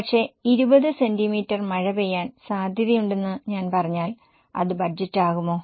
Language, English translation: Malayalam, But if I say that it is likely to rain 20 centimeters, will it be a budget